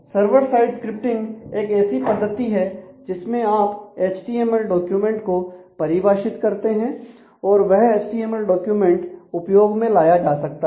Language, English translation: Hindi, Server side scripting is a mechanism where you define an HTML document and to within that HTML document can be used